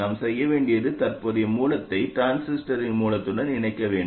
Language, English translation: Tamil, All we have to do is to connect the current source to the source of the transistor